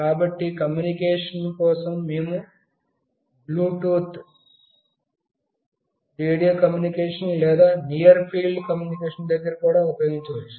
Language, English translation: Telugu, So, for communication we can also use Bluetooth, radio communication or near field communication